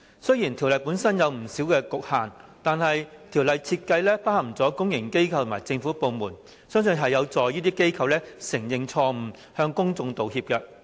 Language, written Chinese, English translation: Cantonese, 雖然條例草案本身有不少局限，但其設計已涵蓋公營機構和政府部門，相信將有助這些機構承認錯誤、向公眾道歉。, The Bill admittedly has many limitations but it can already cover public organizations and government departments and I believe this will facilitate their admission of mistakes and making of apologies to the public